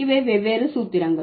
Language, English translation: Tamil, So, these are the different formula